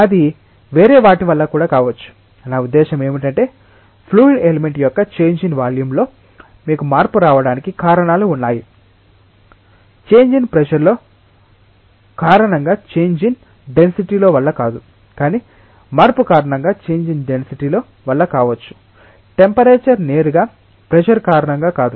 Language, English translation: Telugu, It may be because of something else also I mean there are reasons for which you might have change in volume of a fluid element not because of the change in density due to change in pressure, but maybe because of change in density due to change in temperature not directly due to pressure